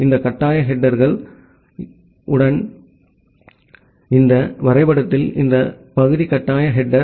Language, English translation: Tamil, And with this mandatory header, so, in this diagram, this part is the mandatory header